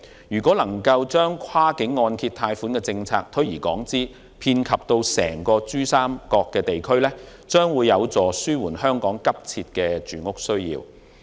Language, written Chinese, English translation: Cantonese, 如能將跨境按揭貸款政策推而廣之，遍及整個珠三角地區，將有助紓緩香港急切的住屋需要。, If this policy on cross - border mortgage loan can be extended to the whole Pearl River Delta Region Hong Kongs pressing housing needs will be alleviated